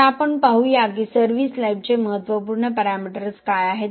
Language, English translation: Marathi, Now let us see what are the critical service life parameters